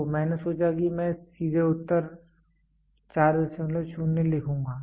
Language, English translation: Hindi, So, I thought I will write directly the answer 4